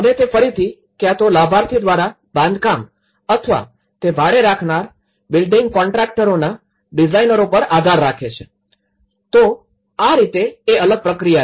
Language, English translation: Gujarati, And he again relies on the either a beneficiary managed construction or it could be he relies on the designers of the building contractors who hire, so in that way, that is another process